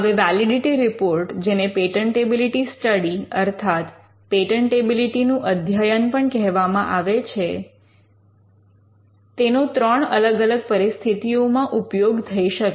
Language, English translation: Gujarati, Now, a validity report or what we call a patentability study would be used in at least 3 different situations